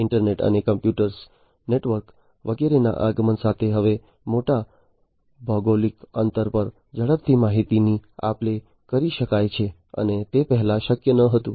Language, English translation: Gujarati, So, now with the advent of the internet and the computer networks and so on, now it is possible to rapidly in to exchange information rapidly over large geographical distance and that was not possible earlier